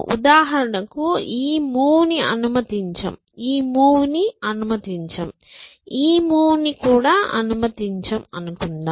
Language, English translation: Telugu, So, we say this move is not allowed, this move is not allowed and this move is not allowed